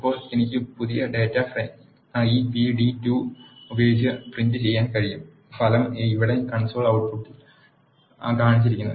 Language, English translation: Malayalam, Now I can print the new data frame with this p d 2 the result is as shown in the console output here